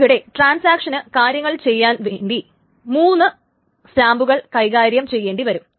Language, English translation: Malayalam, So, for the transaction to actually do these things, there are generally three timestamps are maintained